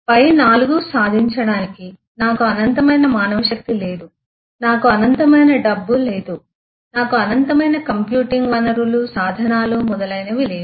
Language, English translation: Telugu, In order to achieve the above 4, I do not have infinite manpower, I do not have infinite eh money, I do not have infinite computing resources etc and so on